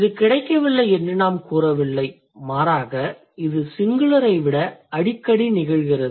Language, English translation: Tamil, We don't say, it's not found, rather it's more frequent than in singular